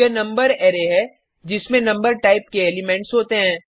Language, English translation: Hindi, This is the number array which has elements of number type